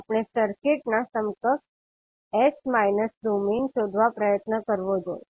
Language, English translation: Gujarati, We have to find out the s minus domain equivalent of the circuit